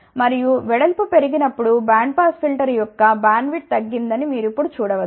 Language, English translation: Telugu, And, when the width is increased you can see now that the bandwidth of the band pass filter has reviewed